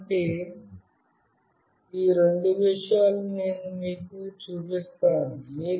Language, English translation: Telugu, So, these are the two things that I will be showing you